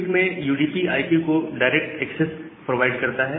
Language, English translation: Hindi, And in QUIC UDP provide a direct access to IP